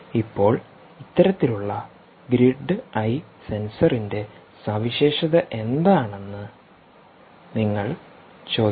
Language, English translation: Malayalam, now you may ask what is the specification of this kind of grid eye sensor